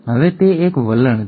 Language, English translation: Gujarati, Now that is a tendency